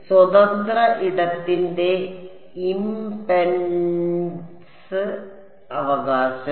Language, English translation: Malayalam, Impedance of free space right